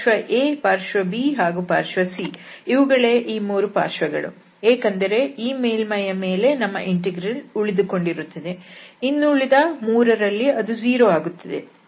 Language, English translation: Kannada, So, side A, side B and this side C, because at these surfaces our integrand will survive, the other three this will become 0